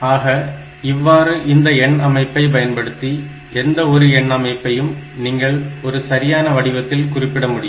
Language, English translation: Tamil, So, this way by using this number system you can any number system you can use they are all equivalent, you can represent numbers in a proper format